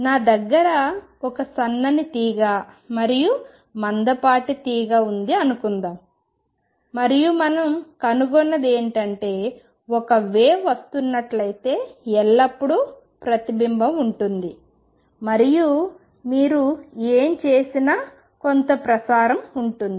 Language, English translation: Telugu, Suppose, I have a string a thin string and a thick string and what we find is; if there is a wave coming in always there will be a reflection and there will be some transmission no matter what you do